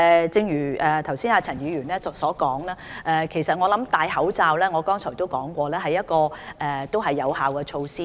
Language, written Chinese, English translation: Cantonese, 正如陳議員剛才所說，而我也有提過，就是戴口罩是有效的預防措施。, As stated by Ms CHAN a moment ago and I have also raised the same point wearing masks is an effective precautionary measure